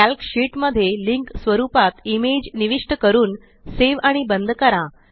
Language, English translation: Marathi, Insert an image as a link in a Calc sheet, save and close it